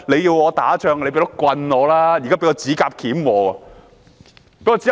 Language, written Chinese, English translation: Cantonese, 要我打仗，也要先給我一支棍吧。, If you want me to get into a fight you should at least give me a stick